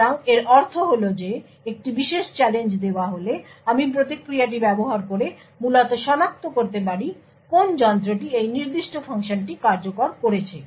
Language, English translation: Bengali, So, what this means is that given a particular challenge I can use the response to essentially identify which device has executed that particular function